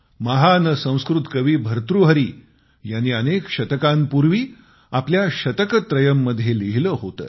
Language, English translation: Marathi, Centuries ago, the great Sanskrit Poet Bhartahari had written in his 'Shataktrayam'